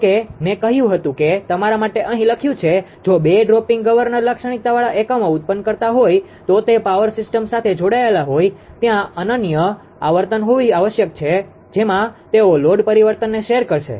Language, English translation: Gujarati, If two or whatever I said I have written for you here, if two are generating units with drooping governor characteristic are connected to a power system there must be unique frequency at which they will share a load change